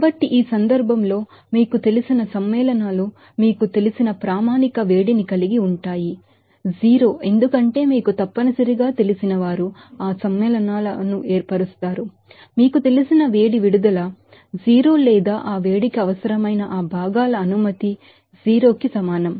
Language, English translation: Telugu, So, in this case, all these you know compounds will have that standard heat up formation of you know, 0 because those who are necessarily you know, form that compounds, the heat release to be you know, 0 or permission of that components requiring that heat will be equal to 0